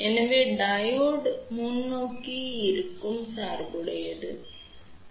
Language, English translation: Tamil, So, when the Diode is forward biased ok